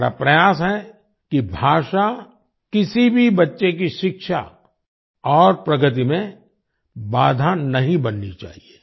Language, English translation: Hindi, It is our endeavour that language should not become a hindrance in the education and progress of any child